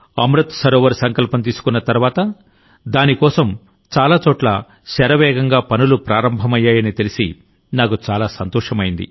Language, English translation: Telugu, By the way, I like to learnthat after taking the resolve of Amrit Sarovar, work has started on it at many places at a rapid pace